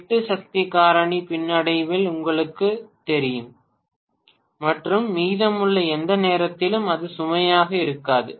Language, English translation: Tamil, 8 power factor lag, and for the rest of the times it is going to be on no load